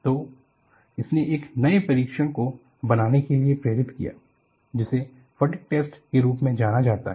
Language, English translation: Hindi, So, this prompted the use of designing a new test, what is known as a fatigue test